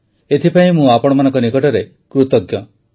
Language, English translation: Odia, I am very thankful to you for that